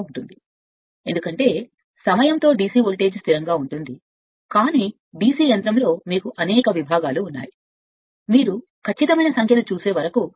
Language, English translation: Telugu, Because with because with time DC voltage is constant, but in a DC machine you have several segments you cannot unless and until you see in your exact your what you call that figure right